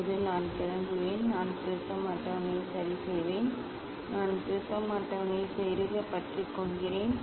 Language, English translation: Tamil, Now, I will clamp; I will clamp the prism table ok; I clamp the prism table